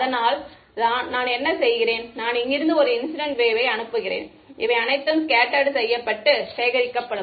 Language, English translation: Tamil, So, what I do is, I send an incident wave from here this will get scattered and collected by everyone all of these guys right